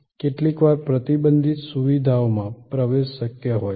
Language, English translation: Gujarati, Sometimes, there are admission possible to restricted facilities